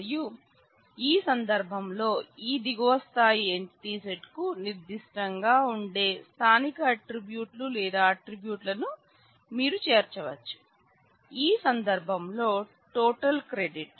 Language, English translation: Telugu, And along with that you include the so, called local attributes or attributes which are specific to this lower level entity set in this case total credit similar thing happens with employee